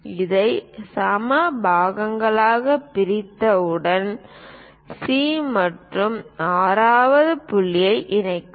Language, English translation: Tamil, Once we divide this into equal parts connect C and 6th point